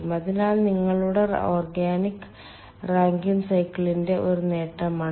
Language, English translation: Malayalam, so that is one of the advantage of your organic rankine cycle